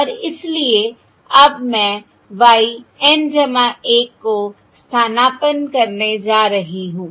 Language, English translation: Hindi, okay, And therefore now Im going to substitute y N plus one y N plus one